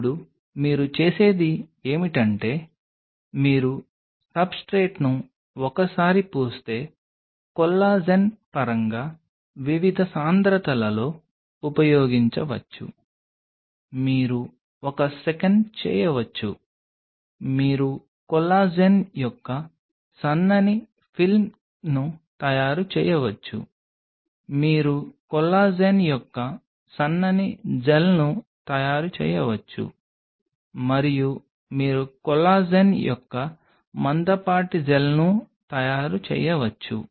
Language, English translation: Telugu, Now what you do is once you coat the substrate, in terms of collagen could be used at different concentrations you can make a one second; you can make a Thin Film of Collagen, you can make a Thin Gel of Collagen and you can make a Thick Gel of Collagen